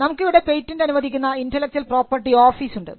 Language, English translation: Malayalam, You have an office, the Intellectual Property Office which grants the patents